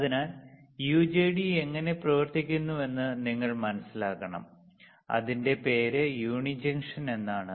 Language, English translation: Malayalam, So, you have to understand how UJT works and hence its name uni junction